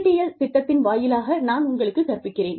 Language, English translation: Tamil, I am teaching you, through the NPTEL program